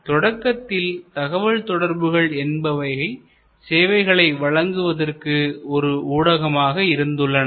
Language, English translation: Tamil, So, initially the network was another channel for delivery of service